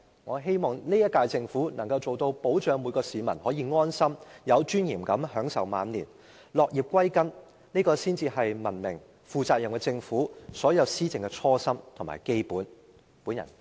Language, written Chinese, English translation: Cantonese, 我希望現屆政府能夠提供保障，令每位市民可以安心，並且有尊嚴地享受晚年，落葉歸根，這才是文明和負責任的政府的所有施政應抱持的初心和基本態度。, It is the peoples right . I hope the current - term Government will provide protection so that every member of the public can enjoy their twilight years in their home town with dignity and free from worries . This is the original intention and basic attitude which should be held by a civilized and responsible government in its entire administration